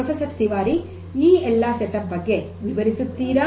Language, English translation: Kannada, So, Professor Tiwari, could you explain like what is this setup all about